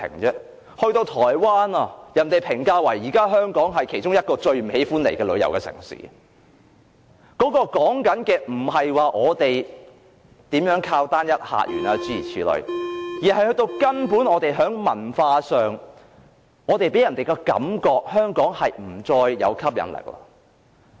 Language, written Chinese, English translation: Cantonese, 現時台灣評價香港為其中一個最不喜歡前往旅遊的城市，說的不是我們如何依賴單一客源等問題，而是根本在文化上，香港給人的感覺是已經不再具吸引力了。, Recently Hong Kong has been rated as one of the most unpopular tourist destinations by the people of Taiwan . So the issue is not about reliance on one single visitor source but that Hong Kong is no longer appealing culture - wise